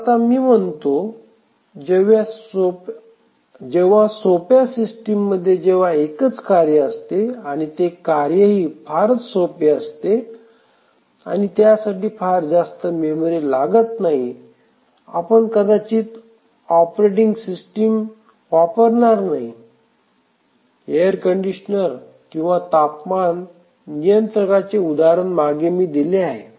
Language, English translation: Marathi, But as you are saying that very very simple systems we just have a task single task and very simple task without needing much memory etcetera, they might not use a operating system I just giving an example of a air conditioner or temperature controller